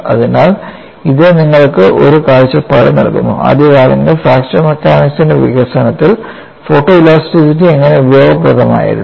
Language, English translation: Malayalam, So, that provides you a perspective, how photo elasticity has been quite useful in the early development of fracture mechanics